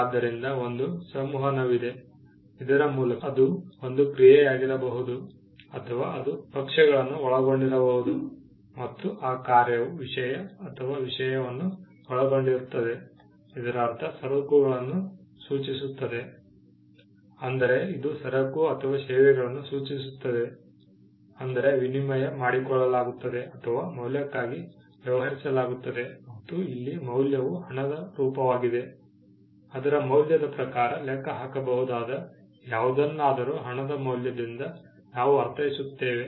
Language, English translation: Kannada, So, there is an interaction, by which we mean it could be an act or it could which involves parties and that act involves the thing and the thing, by which we mean it refers to a goods; it refers to by which we mean it refers to goods or services, which are exchanged or which are dealt with for a value and the value here is money, for something that can be computed in terms of its value, by value we mean money